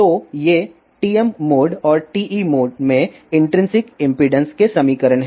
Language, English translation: Hindi, So, these are the equations ofintrinsic impedances in TM mode and TE mode